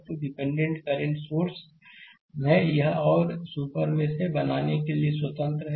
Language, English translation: Hindi, So, dependent current source is there, it is independent creating another super mesh